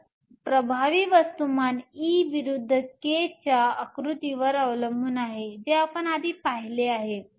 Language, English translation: Marathi, So, the effective mass depends upon the E versus K plots that we saw earlier